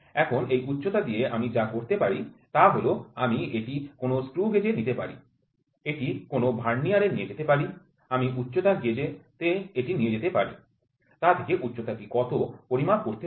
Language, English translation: Bengali, Now with this height what I can do is I can take it to a screw gauge I can take it to a Vernier I can take it to height gauge find out what is this height find out what is that height